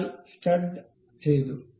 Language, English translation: Malayalam, So, that the stud is done